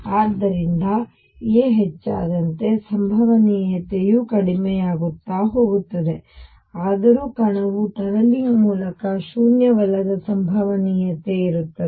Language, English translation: Kannada, So, as a increases the probability goes down nonetheless there is a non 0 probability that the particle tunnels through